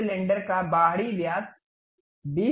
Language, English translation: Hindi, The outside diameter of this cylinder is 20 mm